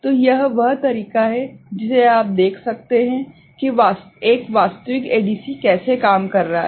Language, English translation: Hindi, So, this is the way you can see an actual ADC is working right